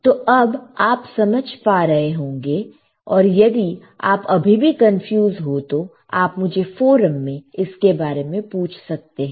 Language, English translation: Hindi, So, now, you should be able to understand, still if you are confused, you ask me in the forum